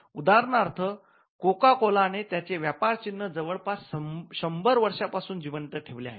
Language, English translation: Marathi, For instance, Coca Cola is a trademark which has been kept alive for close to 100 years